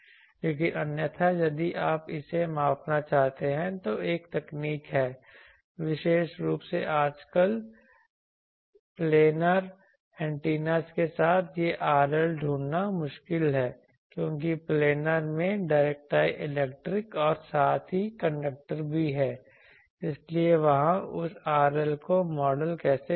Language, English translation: Hindi, But otherwise if you want to measure that then there is a technique particularly nowadays with planar antennas this R L finding is difficult, because planar antennas they have dielectric as well as conductor, so there how to model that R L